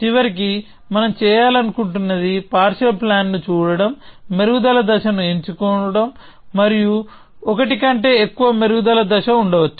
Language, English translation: Telugu, So, eventually what we want to do is look at a partial plan, choose a refinement step and there may be more than one refinement step